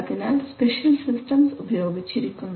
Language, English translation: Malayalam, So special systems are used